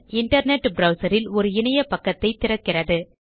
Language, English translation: Tamil, This link opens a web page on our internet browser